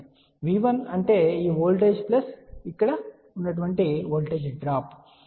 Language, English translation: Telugu, So, V 1 is nothing but we can say this voltage plus voltage drop over here